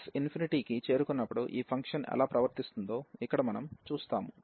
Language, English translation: Telugu, So, here we will see that how this function is behaving as x approaches to infinity